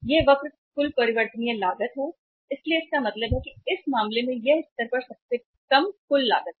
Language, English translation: Hindi, This curve is the total variable cost so it means in this case this is at the lowest uh total cost at this level